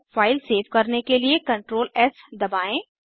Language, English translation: Hindi, To save the file, Press CTRL+ S